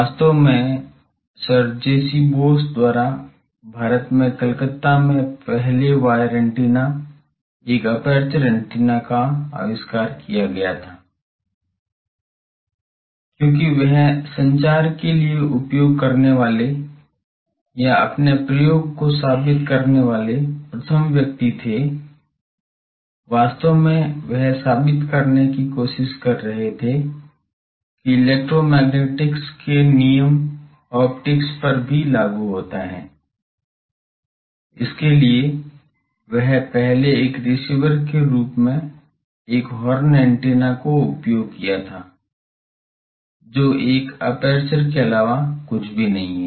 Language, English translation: Hindi, Actually the one of the first wire antenna a aperture antennas were also invented in Calcutta in India by sir J C Bose, because he was the first to use for communication purposes or to prove his experiment, actually he was trying to prove that the laws of electromagnetics also apply to optics and for that he first used as a receiver a horn antenna, which is nothing, but an aperture